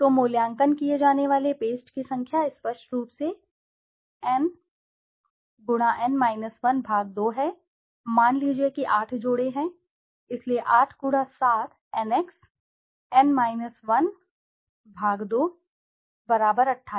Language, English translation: Hindi, So, the number of paste to be evaluated is obviously n/2, suppose there are 8 pairs so 8 x 7 n x n 1 / 2 = 28